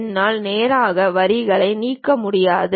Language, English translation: Tamil, I cannot straight away delete the lines and so on